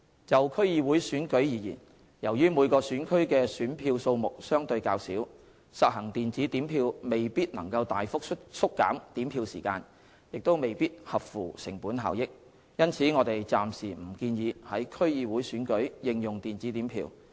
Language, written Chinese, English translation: Cantonese, 就區議會選舉而言，由於每個選區的選票數目相對較少，實行電子點票未必能大幅縮減點票時間，亦未必合乎成本效益，因此我們暫時不建議於區議會選舉應用電子點票。, As for DC elections since the number of ballot papers for respective constituencies is comparatively smaller the implementation of electronic counting of votes may not significantly reduce the counting time and achieve cost - effectiveness . As such we do not recommend the implementation of electronic counting of votes in DC elections for the time being